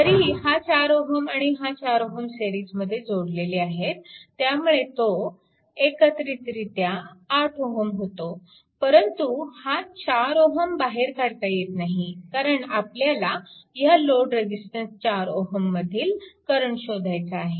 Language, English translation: Marathi, All the 4 and this 4 and this 4, both are in series, so effective will be 8 ohm, but you cannot you cannot remove this 4 ohm because you have to find out the current through this load resistance 4 ohm right